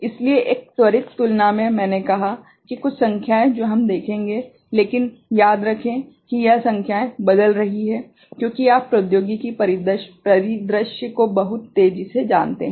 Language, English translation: Hindi, So, a quick comparison I said that, some numbers we shall see, but remember this numbers are changing with you know with the technology landscape very quickly